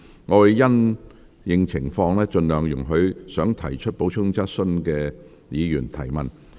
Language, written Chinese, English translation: Cantonese, 我會因應情況，盡量容許想提出補充質詢的議員提問。, Having regard to the situation I will as far as possible allow Members to ask supplementary questions if they so wish